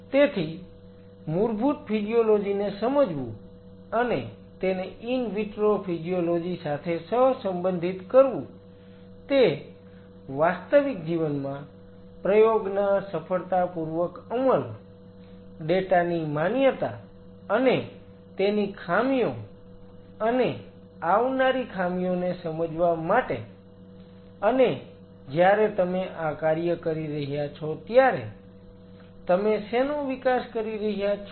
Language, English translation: Gujarati, So, understanding of the basic physiology and correlating it with in vitro physiology is very important for a successful execution of an experiment validity of the data in real life and understanding the short falls and short comings what you are under growing while you know performing this task